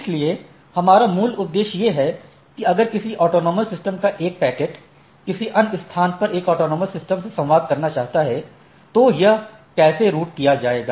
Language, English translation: Hindi, So, our basic objective is to how if a packet from a autonomous system here wants to communicate to a autonomous system in some other place, so how it will be routed